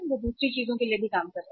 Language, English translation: Hindi, They are working for the other things also